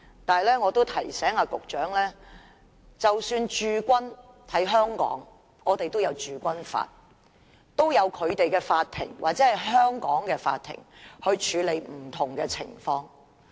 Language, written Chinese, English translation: Cantonese, 但是，我也提醒局長，即使在香港駐軍也有《中華人民共和國香港特別行政區駐軍法》規管，也有香港的法庭處理不同的情況。, But I wish to remind the Secretary that even the Peoples Liberation Army Hong Kong Garrison is regulated by the Law of the Peoples Republic of China on Garrisoning the Hong Kong Special Administrative Region ; and the courts in Hong Kong will deal with different situations